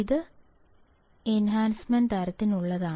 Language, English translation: Malayalam, This is for Enhancement type